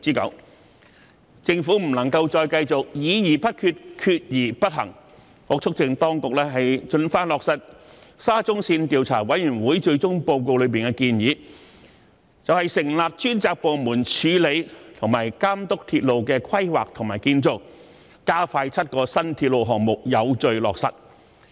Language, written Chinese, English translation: Cantonese, 我促請當局盡快落實沙田至中環線項目紅磡站擴建部分及其鄰近的建造工程調查委員會最終報告內的建議，成立專責部門處理和監督鐵路的規劃和建造，加快7個新鐵路項目的有序落實。, I urge the authorities to promptly implement the recommendation of establishing a department specifically tasked to handle and supervise railway planning and delivery in the Final Report of the Commission of Inquiry into the Construction Works at and near the Hung Hom Station Extension under the Shatin to Central Link Project to speed up the orderly implementation of the seven new railway projects